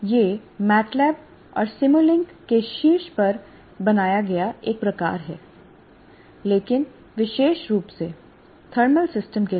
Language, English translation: Hindi, So it's a kind of built on top of MATLAB and simulink, but specifically for thermal systems